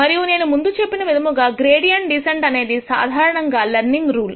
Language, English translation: Telugu, And as I mentioned before this, gradient descent is usually called the learning rule